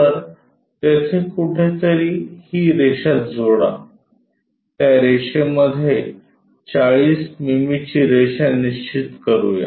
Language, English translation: Marathi, So, somewhere there join this line in that locate 40 mm line